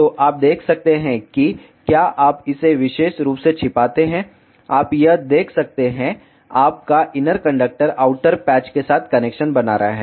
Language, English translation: Hindi, So, you can see if you hide this particular, you can see this your inner conductor is making the connection with the outer patch